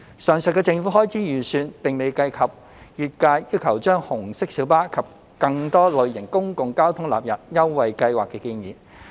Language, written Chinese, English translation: Cantonese, 上述的政府開支預算並未計及業界要求將紅色小巴及更多類型的公共交通工具納入優惠計劃的建議。, The estimated government expenditure mentioned above has not covered the proposal from relevant industries of extending the Scheme to red minibuses and other modes of public transport